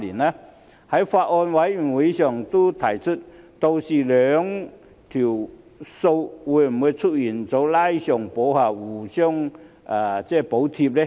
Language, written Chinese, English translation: Cantonese, 我在法案委員會上都提出，屆時兩項收費會否出現"拉上補下"、互相補貼呢？, I have asked in the Bills Committee whether the two type of fees would be averaged out for the purpose of cross - subsidization each other